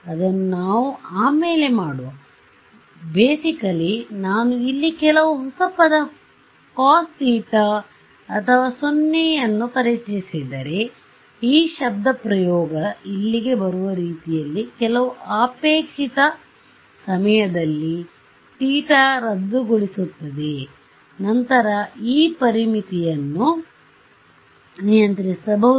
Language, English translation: Kannada, So, I mean we will do this later but, basically if I introduce some new term over here, some cos theta naught or something over here, in such a way that this expression over here, cancels off at some desired theta naught then, I can control this boundary condition